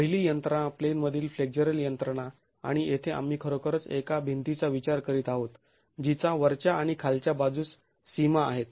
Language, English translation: Marathi, So let's examine the first criterion, the first mechanism, the in plane flexual mechanism and here we are really considering a wall that has boundary conditions at the top and the bottom